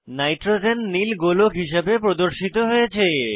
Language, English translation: Bengali, Nitrogen atom is represented as blue sphere